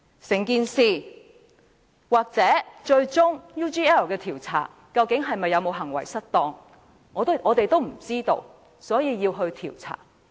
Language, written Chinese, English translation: Cantonese, 就 UGL 一事，最終究竟梁振英有否行為失當，我們不知道，所以便要調查。, In respect of the UGL incident we do not know if LEUNG Chun - ying has committed the offence of misconduct in public office and that is why we have to inquire into it